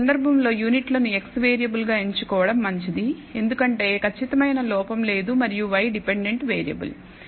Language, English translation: Telugu, So, it is better in this case to choose units as the x variable, because that is precise that has no error and y where minutes as the dependent variable